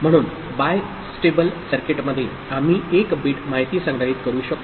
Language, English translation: Marathi, So, in bistable circuit, we can store 1 bit of information